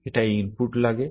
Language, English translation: Bengali, It takes inputs